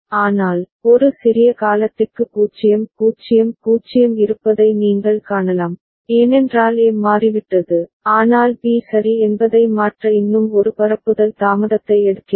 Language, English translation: Tamil, But, momentarily you can see for a small duration 0 0 0 is there, because A has changed, but B is taking one more propagation delay to change ok